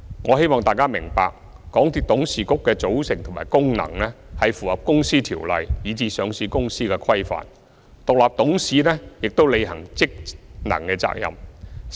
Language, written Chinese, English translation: Cantonese, 我希望大家明白，港鐵公司董事局的組成和功能符合《公司條例》以至上市公司的規範，獨立董事亦有履行職能的責任。, I hope Members will understand that the composition and the functions of the board of directors of MTRCL are in compliance with the Companies Ordinance as well as the regulations governing listed companies and the independent directors also have the duty to discharge their functions